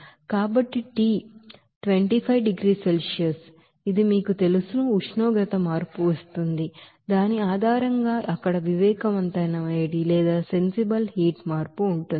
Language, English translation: Telugu, So T 25 degree Celsius, this will give you that you know, temperature change based on which that what would be the sensible heat change there